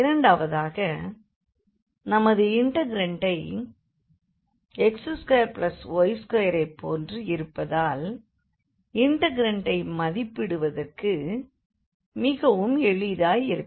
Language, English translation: Tamil, Secondly, our integrand here has this term like x square plus y square, so that will or some make it easier for the evaluation of the integral